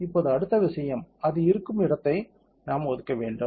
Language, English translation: Tamil, Now, next thing is we have to assign where it will be